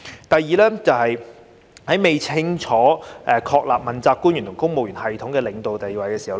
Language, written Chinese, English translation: Cantonese, 第二，是未清楚確立問責官員和公務員系統的領導地位。, Secondly the supervisory position of principal officials in the civil service system has not been clearly established